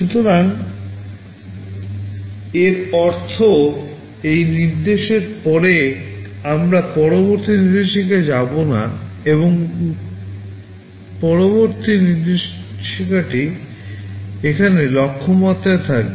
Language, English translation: Bengali, SoIt means after this instruction we shall not go to the next instruction, but rather next instruction will be here at Target